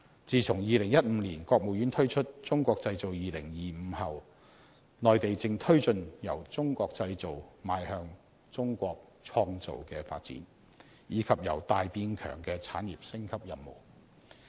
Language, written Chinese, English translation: Cantonese, 自從2015年國務院推出"中國製造 2025" 後，內地正推進由"中國製造"邁向"中國創造"的發展，以及"由大變強"的產業升級任務。, Since the State Council launched the Made in China 2025 initiatives in 2015 the Mainland is pushing its development forward from made in China to created in China and undertaking the industrial upgrade mission from big to strong